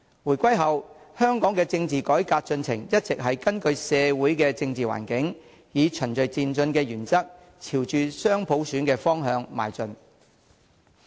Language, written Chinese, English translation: Cantonese, 回歸後，香港的政治改革進程一直是根據社會政治環境，以循序漸進的原則，朝着雙普選的方向邁進。, After Hong Kongs return to China political reforms in Hong Kong have always been conducted in the light of socio - political environment and edged towards dual universal suffrage in accordance with the principle of gradual and orderly progress